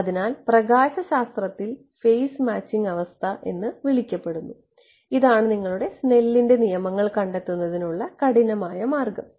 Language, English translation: Malayalam, So, that is what is called in optics the phase matching condition, this is actually the rigorous way of deriving yours Snell’s laws ok